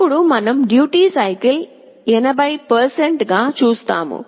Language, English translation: Telugu, Then we make the duty cycle as 80%